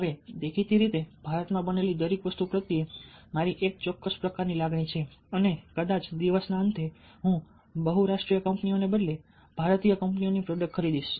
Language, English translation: Gujarati, now, obviously, i have a specific kind of emotions towards everything that is made in india and probably, at the end of the day, i would buy products which are by indian companies rather than by multinational companies